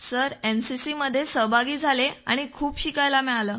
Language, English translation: Marathi, Sir NCC taught me a lot, and gave me many opportunities